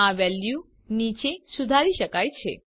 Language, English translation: Gujarati, This value can be modified below